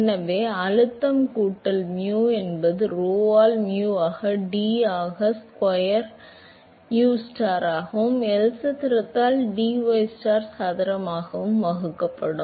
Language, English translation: Tamil, So, that is the scaling for pressure plus mu by rho into mu into d square ustar divided by L square into dystar square